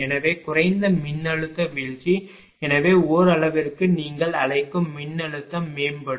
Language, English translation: Tamil, Therefore, less voltage drop right therefore, what you call to some extent voltage will also improve